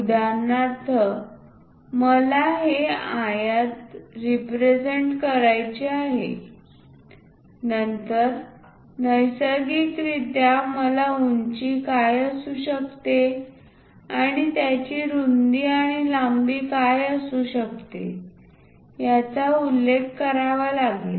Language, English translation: Marathi, For example, I want to represent this rectangle, then naturally, I have to mention what might be height and what might be its width and length